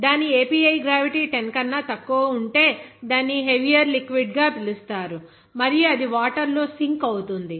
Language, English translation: Telugu, Whereas if its API gravity is less than 10, it is called as heavier liquid and it sinks